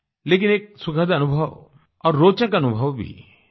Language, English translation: Hindi, But therein lies a pleasant and interesting experience too